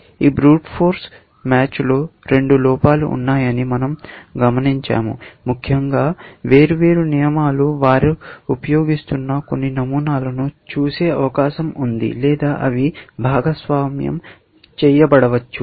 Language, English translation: Telugu, So, we have observed that this brute force match has two deficiencies; one there is possible that different rules may be looking at the some of the patterns, they are using, may be shared, essentially